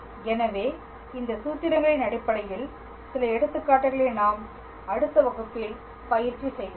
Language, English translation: Tamil, So, we will practice a few examples based on these formulas in our next class